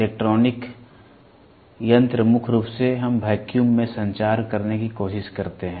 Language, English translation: Hindi, Electronic devices predominantly we try to communicate in vacuum